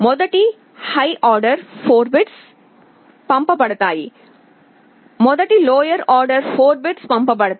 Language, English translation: Telugu, First the higher order 4 bits is sent, first the lower order 4 bits are sent